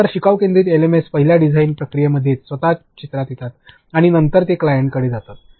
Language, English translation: Marathi, So, a learning learner centric LMS come into picture the first design process itself right and then they go to the client